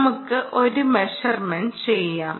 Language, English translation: Malayalam, let us make a measurement